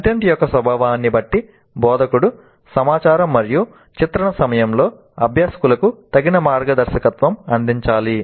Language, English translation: Telugu, Depending upon the nature of the content instructor must provide appropriate guidance to the learners during information and portrayal